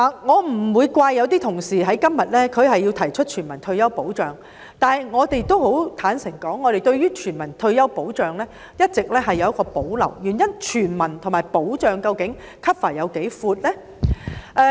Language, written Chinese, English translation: Cantonese, 我不會怪責某些同事在今天提出全民退休保障，但坦白說，我們對全民退休保障一直有保留，原因是究竟"全民"和"保障"的涵蓋範圍有多闊？, I do not blame certain Honourable colleagues for proposing a universal protection retirement system today . But frankly speaking we have all along had reservations about universal retirement protection . The reason is―how broad do the scope of universal and protection cover?